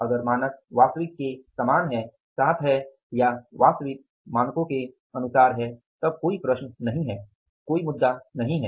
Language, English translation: Hindi, If the standard is with the actual or actual is as for the standards and there is no problem at all, no issues at all